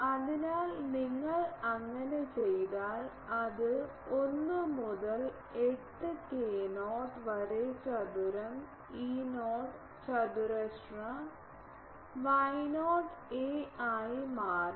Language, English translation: Malayalam, So, if you do it will become 1 by 8 k not square E not square Y not a to the power 4